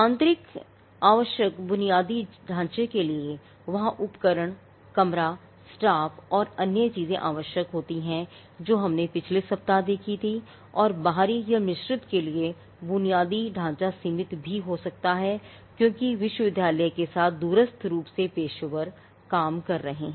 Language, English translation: Hindi, Now, the infrastructure required would for an internal it has to be dedicated infrastructure there has to be equipment, room, staffing and all the other concerns which we had seen in last week and there is also the infrastructure for an external or a mixed one could be limited because there are professional working remotely with the university